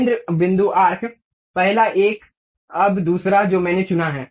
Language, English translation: Hindi, Center point arc, first one, now second one I have picked